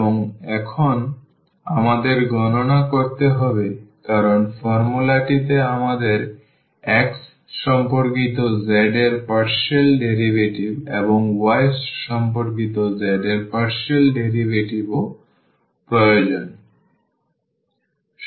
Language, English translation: Bengali, And, now we need to compute because in the formula we need the partial derivative of z with respect to x and also the partial derivative of z with respect to y